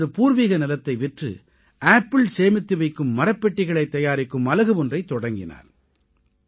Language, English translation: Tamil, He sold his ancestral land and established a unit to manufacture Apple wooden boxes